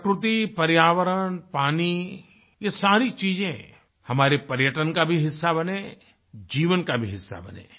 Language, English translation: Hindi, Nature, environment, water all these things should not only be part of our tourism they should also be a part of our lives